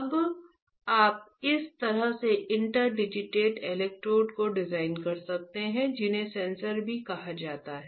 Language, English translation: Hindi, Now you can design this kind of interdigitated electrodes, which are also called sensors